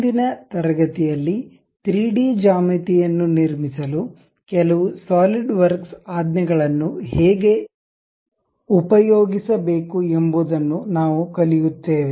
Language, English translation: Kannada, In today's class, we will learn how to use some of the Solidworks command to construct 3D geometries